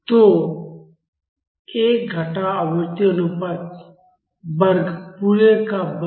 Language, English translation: Hindi, So, 1 minus frequency ratio square the whole square